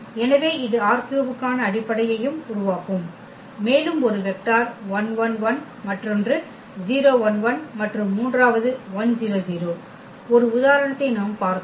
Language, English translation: Tamil, So, that will also form the basis for R 3 and the example we have seen those 1 1 1 that was 1 vector another one was 1 0 and the third one was 1 0 0